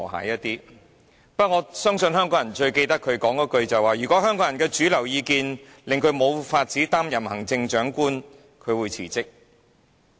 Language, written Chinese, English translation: Cantonese, 我相信香港人最記得她說的一句話，就是如果香港人的主流意見令她無法擔任行政長官，她會辭職。, I think Hong Kong people find her remark that she would resign if the mainstream opinion of Hong Kong people made her no longer able to continue the job as chief executive most unforgettable